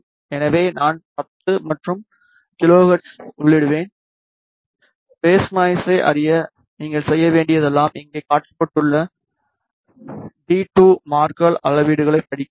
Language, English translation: Tamil, So, I will enter 10 and kilohertz and all you have to do to know the phase noise is to read the d 2 marker measurement which is shown over here